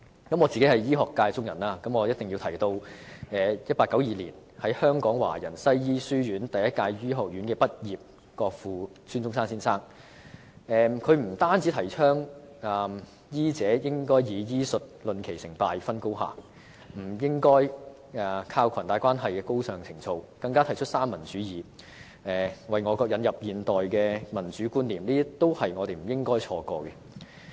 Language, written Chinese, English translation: Cantonese, 作為醫學界中人，我必須提及1892年於香港華人西醫書院第一屆醫學院畢業的國父孫中山先生，他不但提倡醫者應以醫術論其成敗、分高下，而不應依靠裙帶關係的高尚情操，更提出三民主義，為我國引入現代的民主觀念，這些都是我們不應錯過的。, As a member of the medical sector I must talk about our Father of the Nation Dr SUN Yat - sen who studied in the Hong Kong College of Medicine for Chinese and became one of its first graduates in 1892 . Not only did he advocate the noble idea that any judgment on whether a medical practitioner is successful or superior should be based on his medical skills rather than nepotism but he also put forward the Three Principles of the People and introduced modern concepts of democracy to our country . These should not be omitted from our history